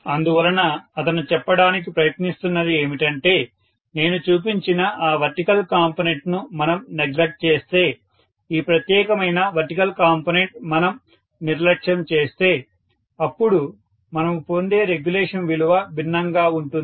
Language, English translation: Telugu, So, what he is trying to say is if we neglect that vertical component whatever I have shown, this particular vertical component if we neglect then we are getting the regulation value to be different